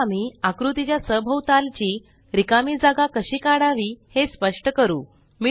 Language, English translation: Marathi, We will now explain how to remove the white space around the figure